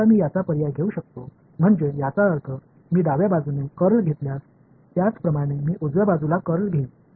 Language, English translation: Marathi, Now, I can substitute this I mean this I took the curl on the left hand side similarly I will take the curl on the right hand side as well